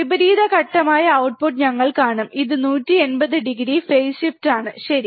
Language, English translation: Malayalam, We will see output which is opposite phase, this is 180 degree phase shift, alright